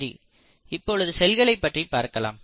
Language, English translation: Tamil, So letÕs come back to the cells